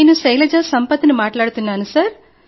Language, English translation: Telugu, I am Shailaja Sampath speaking